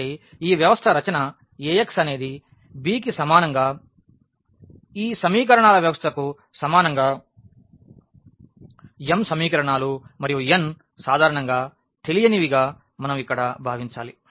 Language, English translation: Telugu, So, this system writing in this A x is equal to b is equivalent to the given system of equations where, we have m equations and n unknowns in general we have considered here